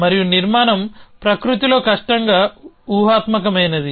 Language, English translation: Telugu, And structure is difficultly hypothetical in nature